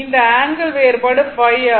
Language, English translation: Tamil, So, angle should be phi